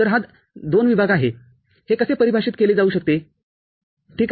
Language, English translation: Marathi, So, this is the II zone how it can be defined, ok